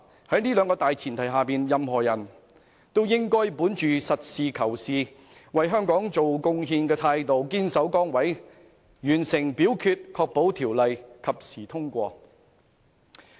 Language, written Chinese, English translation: Cantonese, 在這兩項大前提下，任何人也應該本着實事求是、為香港作出貢獻的態度堅守崗位，完成表決，確保《條例草案》及時通過。, On these two premises anyone should remain steadfast in their duties complete the voting procedure and ensure the timely passage of the Bill with a pragmatic attitude to make contribution to Hong Kong